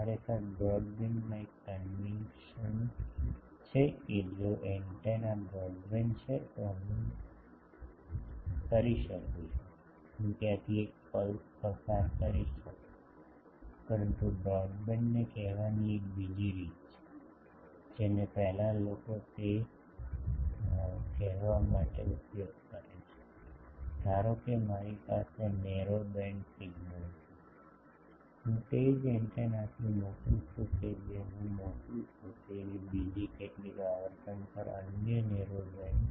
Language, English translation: Gujarati, Actually broadband has a conation that if an antenna is broadband then I can, I will be able to pass a pulse through it, but there is another way of calling broadband, which earlier people use to call that, suppose I am having a narrow band signal, I am sending that with the same antenna another narrow band signal at some other frequency I am sending